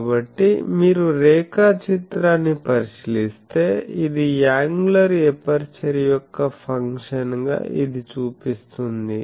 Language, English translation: Telugu, So, if you look at the diagram, this as a function of angular aperture this shows this